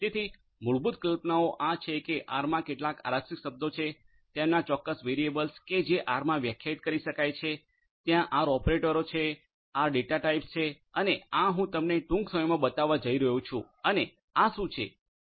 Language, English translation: Gujarati, So, the fundamental concepts are like this that there are certain reserved words in R, their certain variables that can be defined in R, there are R operators, R data types and these I am going to show you shortly and what are these and you know is just a simple instance of all of these is what I am going to show you